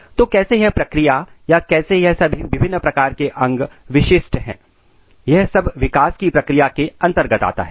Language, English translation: Hindi, So, how this all processes or how all this different types of organs are specified is covered in process of development